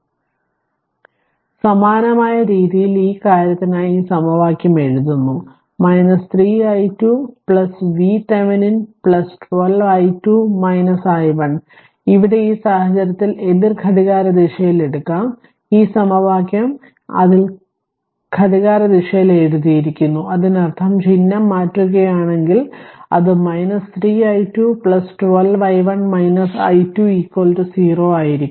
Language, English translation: Malayalam, So, as therefore so similar way we are writing this equation for this thing that your 3 i 2 plus V Thevenin plus 12 into i 2 minus i 1 here, your what you call in this case I have gone the way I saw I saw it is your anticlockwise, this equation is written in that your what you call clockwise; that means, if you if you just if you just change the sign, whatever I told it will be minus 3 i 2 it will be minus V Thevenin it will be your it will be if you put like, this it will plus 12 into i 1 minus i 2 is equal to 0